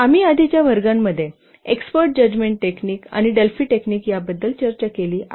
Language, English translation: Marathi, We have already discussed export judgment technique and Delphi technique in the previous classes